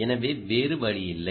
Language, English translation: Tamil, there is no choice